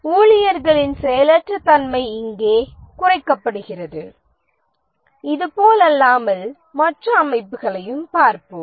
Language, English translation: Tamil, The idling of the staff is minimized here unlike we'll see the other organizations